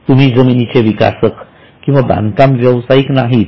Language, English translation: Marathi, You are not into a developer or as a builder